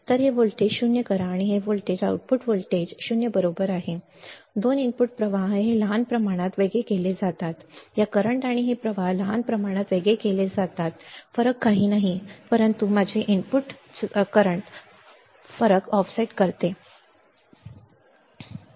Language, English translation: Marathi, So, make this voltage 0 to make this voltage output voltage equal to 0 right the 2 input currents are made to differ by small amount this current and this current are made to different by small amount that difference is nothing, but my input offset current difference is nothing, but input offset